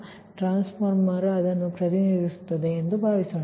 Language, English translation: Kannada, and transformer can be represented